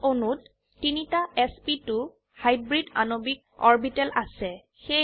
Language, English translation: Assamese, Ethene molecule has three sp2 hybridized molecular orbitals